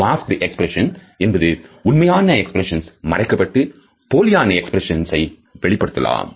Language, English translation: Tamil, A masked expression is when a genuine expression is completely masked by a falsified expression